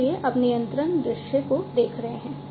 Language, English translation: Hindi, So, now looking at the control view